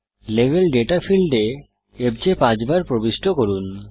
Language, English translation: Bengali, In the Level Data field, enter fj five times